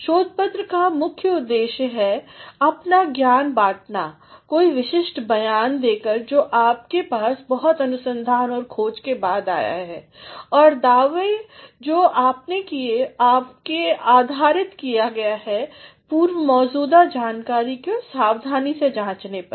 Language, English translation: Hindi, So, the main aim of a research paper is to share your knowledge by making some definite statement you have after a lot of research, and discovery and claims that you have made, you have based upon a careful study of already existing data